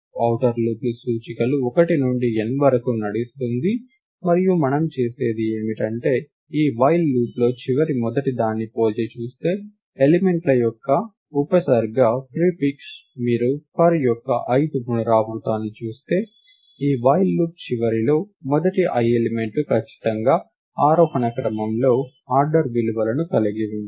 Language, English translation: Telugu, what we do is we compare the first at the end of this while loop we will guarantee that the the prefix of the elements, that is if you look at the ith iteration of the for loop at the end of this while loop, the first i elements will definitely have the order values in ascending order